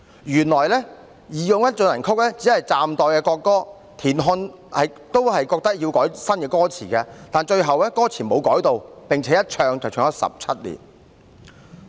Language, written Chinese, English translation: Cantonese, "原來"義勇軍進行曲"只是代國歌，田漢亦認為要改歌詞，但最後並沒有修改歌詞，並且一唱便唱了17年。, It turned out that March of the Volunteers was only a tentative national anthem TIAN Han also considered it necessary to revise the lyrics but the lyrics were not revised in the end . And people kept singing the song for 17 years